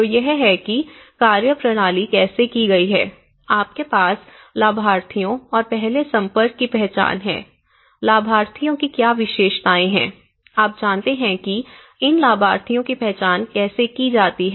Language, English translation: Hindi, So, this is how the methodology has been done, you have the identification of the beneficiaries and the first contacts, then you have these, what is characteristics of the beneficiaries, you know how do one figure out these beneficiaries